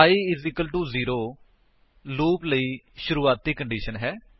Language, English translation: Punjabi, i =0 is the starting condition for the loop